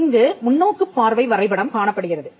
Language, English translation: Tamil, Here, you have the perspective view drawing